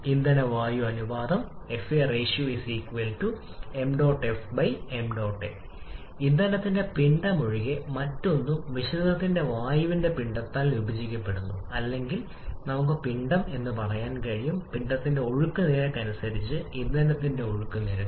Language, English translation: Malayalam, Fuel air ratio is nothing but the mass of fuel divided by mass of air in a mixture or we can say the mass flow rate of fuel by mass flow rate of air